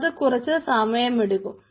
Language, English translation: Malayalam, it will take some time, ok